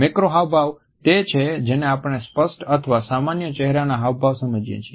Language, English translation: Gujarati, Macro expressions are what we understand to be obvious or normal facial expressions